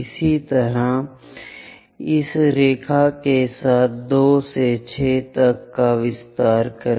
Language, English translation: Hindi, Similarly, extend 2 to 6 all the way up along this line